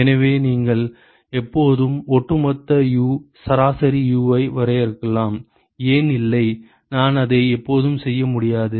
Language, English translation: Tamil, So, you can you can always define an overall U average U, why not, I can always do that no